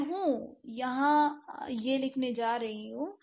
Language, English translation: Hindi, We are going to write it over here